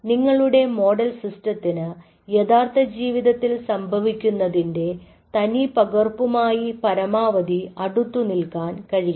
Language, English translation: Malayalam, so you model system should be able to be as close as possible to the replica of what is happening in the real life